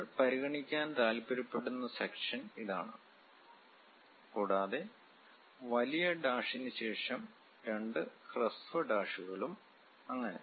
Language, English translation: Malayalam, And the section we would like to really consider is this one, and long dash followed by two short dashes and so on